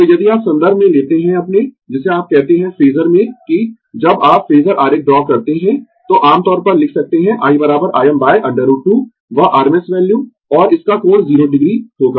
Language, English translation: Hindi, So, if you take in terms of your, what you call in the phasor that, when you draw the phasor diagram, so generally we can write i is equal to I m by root 2 that rms value, and its angle will be 0 degree